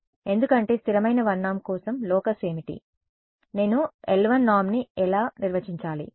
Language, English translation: Telugu, Because the locus for constant 1 norm is what; how do I define the l 1 norm